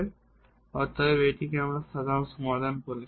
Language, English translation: Bengali, So, therefore, we are calling it has the general solution